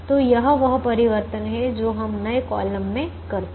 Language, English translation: Hindi, so that is the change that we make in the new column